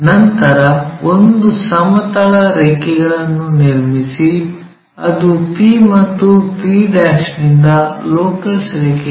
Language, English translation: Kannada, Draw horizontal lines, locus lines both from p and p', these are the projected lines